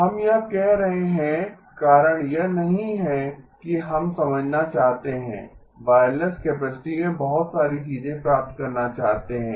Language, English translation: Hindi, The reason we are doing this is not that we want to understand want to get a whole lot of things into the wireless capacity